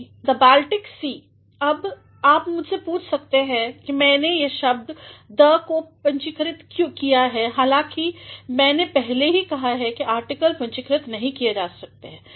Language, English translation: Hindi, The Baltic Sea, the Baltic Sea now you may question me why I have capitalized the first word the, though I have already said that the article cannot be capitalized